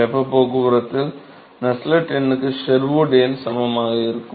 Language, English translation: Tamil, So, Sherwood number is equivalent for Nusselt number in heat transport